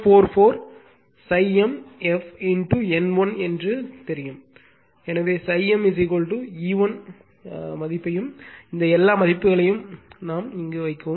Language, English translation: Tamil, 44 phi m f into N 1 therefore, phi m is equal to you just put E 1 value and all these values